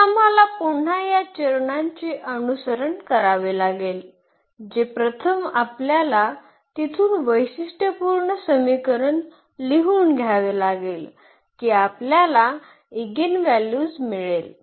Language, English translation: Marathi, So, we have to again follow these steps that first we have to write down the characteristic equation from there we can get the eigenvalues